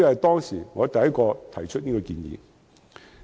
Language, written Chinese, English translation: Cantonese, 當時我是首個提出這項建議的人。, I was the first person to make this proposal then